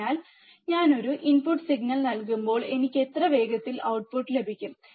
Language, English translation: Malayalam, So, when I give a input signal, how fast I I get the output